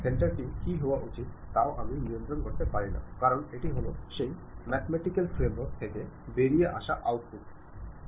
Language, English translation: Bengali, I cannot even control what should be the center, because these are the outputs supposed to come out from that mathematical framework